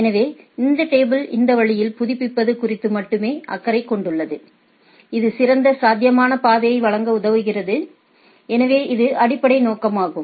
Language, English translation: Tamil, So, it is only concerned about this the updating this table in such a way so, it gives it helps in providing the best possible route so, that is the basic objective